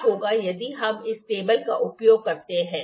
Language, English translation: Hindi, What if we use this table